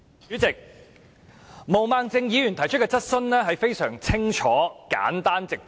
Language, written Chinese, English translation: Cantonese, 主席，毛孟靜議員提出的質詢非常清楚、簡單和直接。, President Ms Claudia MO has raised her question in a very clear simple and direct way